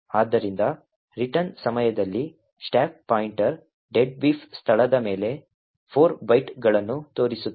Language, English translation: Kannada, Therefore, at the time of return the stack pointer is pointing to 4 bytes above the deadbeef location